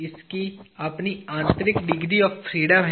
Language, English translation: Hindi, It has its own internal degree of freedom